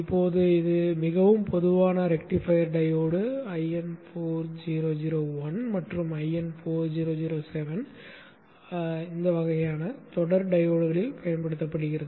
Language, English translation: Tamil, Now this is a very common rectifier diode used in most of the products, 1N4001 1 and 4707 kind of series kind of diodes